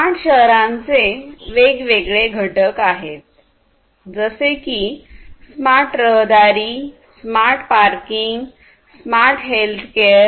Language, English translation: Marathi, So, there are even different components of smart cities like smart transportation, smart parking, smart healthcare and so on and so forth